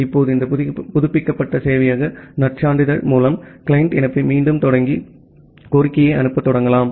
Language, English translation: Tamil, Now, with this updated server credential, the client can reinitiate the connection and start sending the request